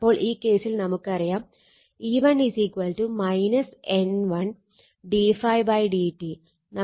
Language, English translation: Malayalam, So, in this case we know that E 1 is equal to minus N 1 d phi by dt